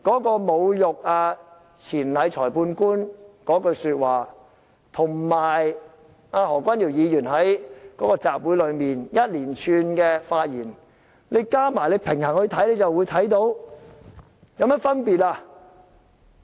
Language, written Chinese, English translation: Cantonese, 把侮辱裁判官錢禮的話與何君堯議員在集會上一連串的發言比較一下，放在一起看，就會看到兩者並無甚麼分別。, If we put the insulting remarks hurled at Judge Ms Bina Chainrai and the rally remarks made by Dr Junius HO together for comparison we cannot see any difference between the two